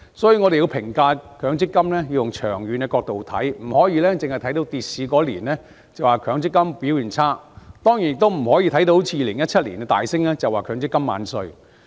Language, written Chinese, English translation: Cantonese, 所以，我們要以長遠角度評價強積金，不可只看當年跌市便說強積金表現差，當然亦不能看到2017年股市大升便說強積金"萬歲"。, Therefore we should evaluate MPF from a long - term perspective . We should not look at the down market in a particular year and say the MPF performance is poor and of course we cannot praise MPF as king for the market surge in 2017